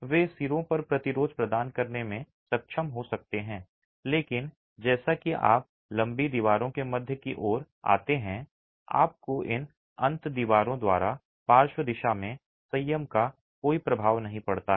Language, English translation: Hindi, They may be able to provide resistance at the ends, but as you come towards the midspan of the long walls, you do not have any effect of restraint in the lateral direction by these end walls